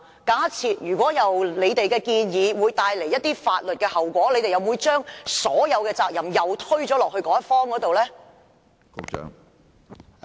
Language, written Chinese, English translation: Cantonese, 假設你們的建議會帶來一些法律後果，你們又會否將所有責任推到另一方身上呢？, Assuming your proposal will bring forth some consequences in law will you shift all the responsibility to the other party then?